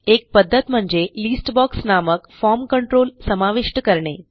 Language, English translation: Marathi, One way is to add a form control called List box